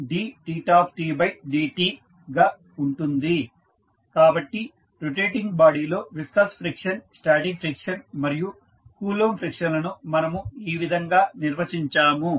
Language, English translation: Telugu, So, this is how we define viscous friction, static and Coulomb friction in the rotating body